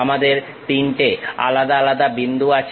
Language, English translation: Bengali, We have 3 different points